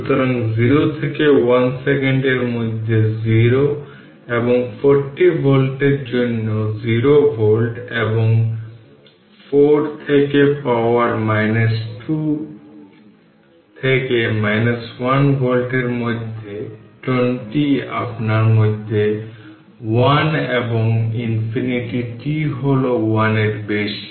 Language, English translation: Bengali, So, 0 volt for t less than 0 and 40 volt for in between 0 and 1 second and 4 e to the power minus t to minus 1 volt in between 20 your what you call your between one and infinity t greater than 1 right